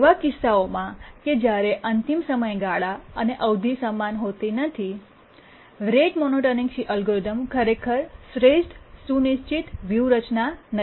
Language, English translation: Gujarati, So, in cases where deadline is not equal to the period, rate monotonic algorithm is not really the optimal scheduling strategy